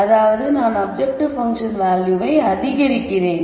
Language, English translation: Tamil, That is I am increasing the objective function value